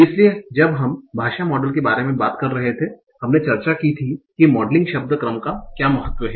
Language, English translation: Hindi, So, when we were talking about language models, we had discussed what is the importance of modeling word order